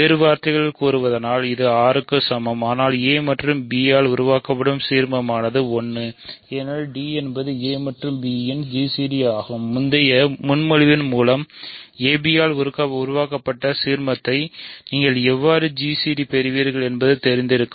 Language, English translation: Tamil, In other words it is equal to R, but, that means, the ideal generated by a and b is 1 right because d is a g c d of a and b; that means, the ideal generated by a b by previous proposition how do you get the g c d